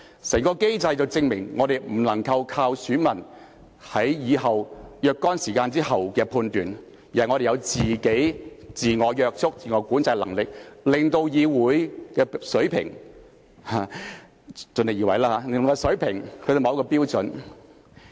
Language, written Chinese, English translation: Cantonese, 整個機制證明了我們不能夠依靠選民在若干時間後的判斷，而是我們有自我約束和自我管制的能力，令議會的水平——我們盡力而為吧——達至某個標準。, The entire mechanism proves that we cannot rely on the judgment made by electors at a certain point of time in future . Instead we should be able to exercise self - constraint and self - control to ensure that the Legislative Council―let us try our best―meets a certain standard